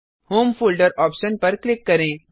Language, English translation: Hindi, Click on the home folder option